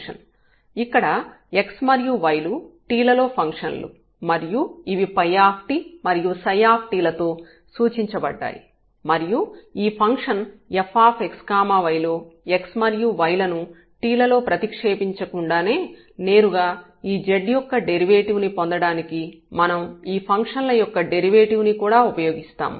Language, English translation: Telugu, And also here the x and y are the functions of phi and psi both are the functions of t and we will also make use of the derivative of these functions to get the derivative of this z directly without substituting this x and y in terms of t in this function f x y